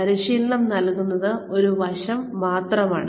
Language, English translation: Malayalam, Imparting training is just one aspect